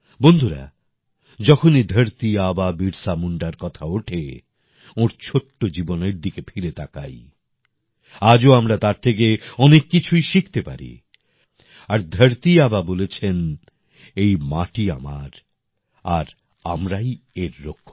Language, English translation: Bengali, Friends, when it comes to Dharti Aba Birsa Munda, let's look at his short life span; even today we can learn a lot from him and Dharti Aba had said 'This earth is ours, we are its protectors